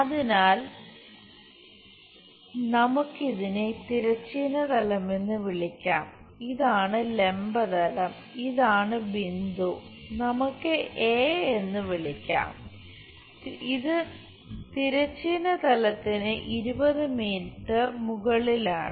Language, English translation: Malayalam, So, let us call this one horizontal plane, and this one vertical plane, point is this let us call A, this is 20 millimetres above HP